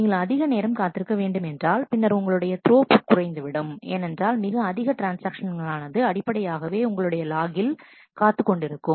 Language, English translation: Tamil, If you wait for too long, then your throughput will go down because several transactions are basically waiting on logs